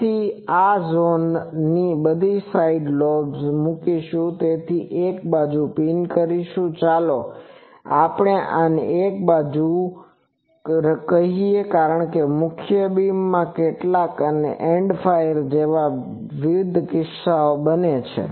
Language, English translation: Gujarati, So, we will put all the side lobes in this zone and one side will pin with let us say this one another side because the main beam certain cases in end fire etc